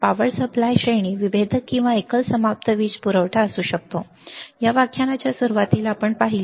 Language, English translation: Marathi, Power supply range may be the differential or single ended power supply kind, we have seen in the starting of this lecture